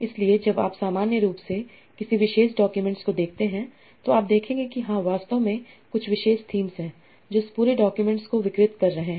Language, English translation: Hindi, So when you look at a particular document in general, you will see that yes, there are actually some particular themes that are pervading this whole document